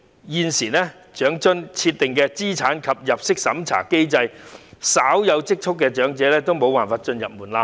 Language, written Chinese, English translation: Cantonese, 現時，長津設定的資產及入息審查機制令稍有積蓄的長者未能通過門檻。, At present under the means test mechanism of OALA elders with some savings cannot pass the threshold